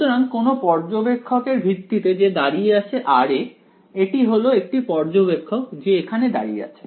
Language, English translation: Bengali, So, with respect to this observer, who is standing at r right; this is an observer standing over here